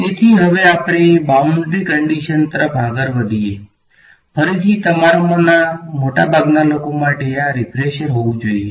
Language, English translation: Gujarati, So, now let us move on to Boundary Conditions, again this should be a refresher for most of you